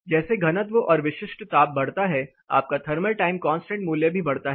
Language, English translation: Hindi, As the density and specific heat increases your thermal time constant value is going to go up